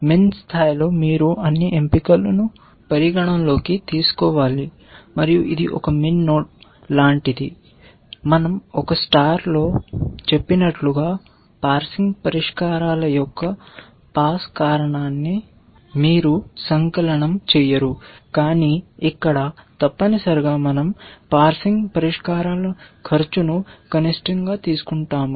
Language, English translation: Telugu, At min level you have to consider all choices, and it is like a min node except that you do not sum up the pass cause of the parsing solutions as we did in A star, but we take the minimum of the cost of the parsing solutions here essentially